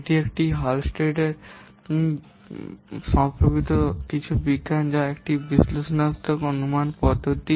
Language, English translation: Bengali, This is something about this Hullstery Software Science which is an analytical estimation method